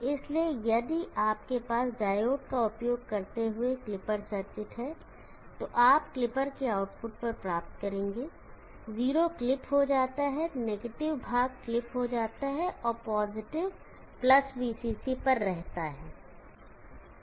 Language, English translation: Hindi, So if you clipper circuit using diodes you will get at the output of the clipper 0 gets clipped the negative portion gets clipped, and the positive remains at + VCC